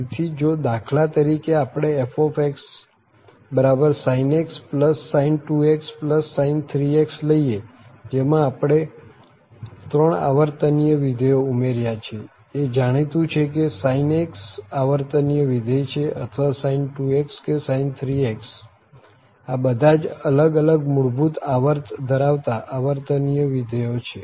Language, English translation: Gujarati, So, for instance if we take this fx is equal to sinx plus sin2x plus sin3x so we have added 3 periodic functions so it is well known that the sin x is a periodic function or sin2x or sin3x, all these are periodic functions with different period, different fundamental period